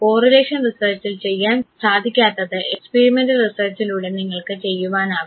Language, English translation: Malayalam, Something is missing in correlation research that you can do in experimental research